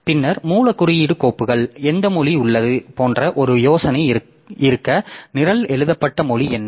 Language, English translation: Tamil, Then the source code file so just to have an idea like what language is the what the language in which the program is written